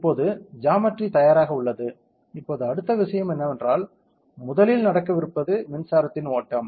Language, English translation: Tamil, Now, the; what is that, now the geometry is ready, now next thing is as I told you the first thing that happens is the flow of electric current